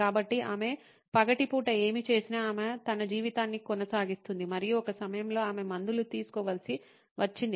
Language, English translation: Telugu, So, she goes on with her life whatever she did during the day and at a point came when she had to take her medication